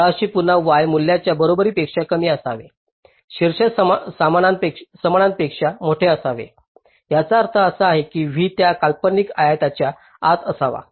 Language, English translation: Marathi, top should be greater than equal to that means this v should be inside that imaginary rectangle